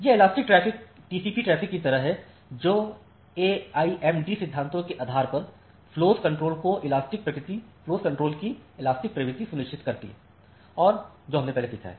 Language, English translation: Hindi, So, this elastic traffics are the TCP like traffic which ensure elastic nature of flow control based on the AIMD principle that we have learned earlier